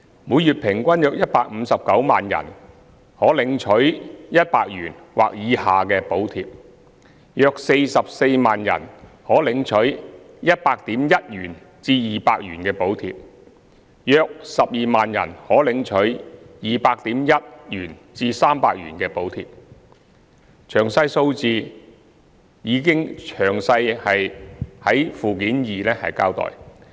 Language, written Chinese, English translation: Cantonese, 每月平均約159萬人可領取100元或以下的補貼，約44萬人可領取 100.1 元至200元的補貼，約12萬人可領取 200.1 元至300元的補貼，詳細數字已在附件二詳細交代。, An average of around 1 590 000 beneficiaries were entitled to a monthly subsidy amount at 100 or less; around 440 000 beneficiaries were entitled to a monthly subsidy amount between 100.1 and 200; and around 120 000 beneficiaries were entitled to a monthly subsidy amount between 200.1 and 300 . A detailed breakdown is given in Annex 2